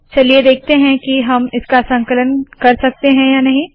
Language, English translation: Hindi, So lets see whether we can compile this